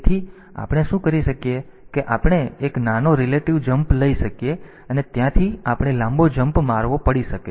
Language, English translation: Gujarati, So, what we can do is that we can take a small relative jump and from there we may have to take a long jump